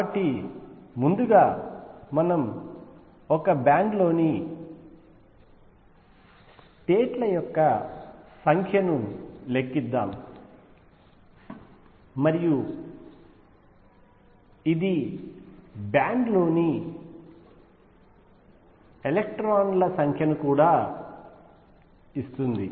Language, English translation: Telugu, So, for that first let us calculate the number of states in a band, and this would also give us the number of electrons in a band